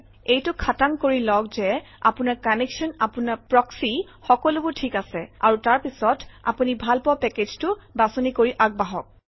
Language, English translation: Assamese, Make sure that your connection, your proxy, everything is okay and then choose the package that you like and then go ahead